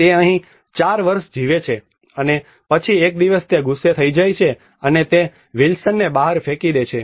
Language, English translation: Gujarati, He lives here for 4 years and then one day he gets angry and he throws out that Wilson out